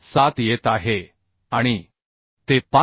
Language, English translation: Marathi, 7 and as it is less than 5